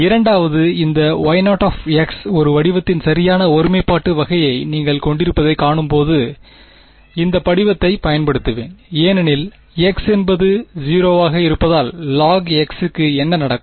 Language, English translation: Tamil, I will use this form when you can see that the second this Y 0 you cans see that it has the correct singularity kind of a shape right, as x tends to 0 what happens to log of x